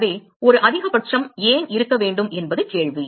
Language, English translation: Tamil, So, the question is why should there be a maxima right